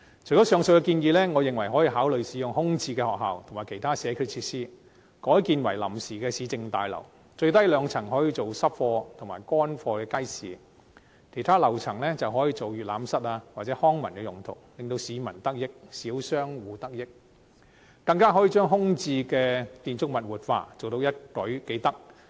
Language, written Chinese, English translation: Cantonese, 除了上述建議，我認為可以考慮使用空置學校及其他社區設施，改建為臨時市政大樓，最低兩層可以用作濕貨及乾貨街市，其他樓層可以作閱覽室或康文用途，不但令市民及小商戶得益，更可以活化空置的建築物，一舉數得。, Apart from these proposals I think consideration can be given to converting school premises and other community facilities which are vacant into temporary municipal services complexes . The two lowest floors can be used as wet goods and dry goods markets while the other floors can serve as reading rooms or for leisure and cultural purposes . Not only can it benefit members of the public and small shop operators but also revitalize the vacant buildings achieving several objectives in one stoke